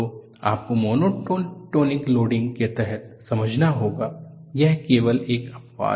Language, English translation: Hindi, So you will have to understand under monotonic loading, it is only an exception